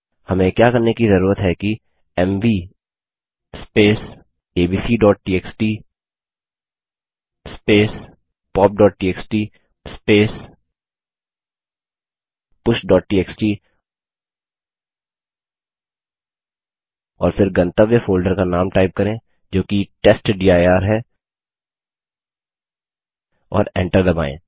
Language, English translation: Hindi, What we need to do is type mv abc.txt pop.txt push.txt and then the name of the destination folder which is testdir and press enter